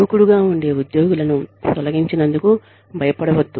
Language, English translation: Telugu, Do not be scared of firing, aggressive employees